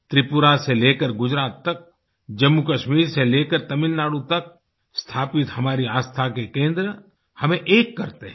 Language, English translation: Hindi, Our centres of faith established from Tripura to Gujarat and from Jammu and Kashmir to Tamil Nadu, unite us as one